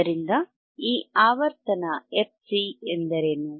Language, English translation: Kannada, So, what is this frequency fc